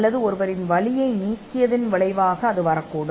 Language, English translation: Tamil, Or it could come as a result of removing somebody’s pain